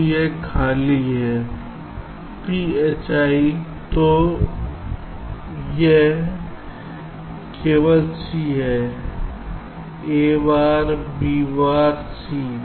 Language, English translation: Hindi, so this is only c, a bar b, bar c